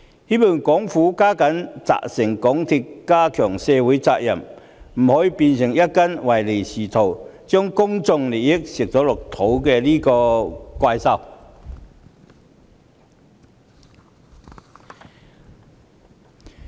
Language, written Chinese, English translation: Cantonese, 希望政府加緊責成港鐵公司加強對社會的責任，不可以讓它變成一隻唯利是圖，將公眾利益吃下肚的怪獸。, I hope the Government will instruct MTRCL to reinforce its social responsibility and stop MTRCL from turning into a monster that puts profit - making before everything and devours public interest